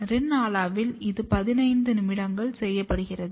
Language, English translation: Tamil, In Rin Ala it is done for 15 minutes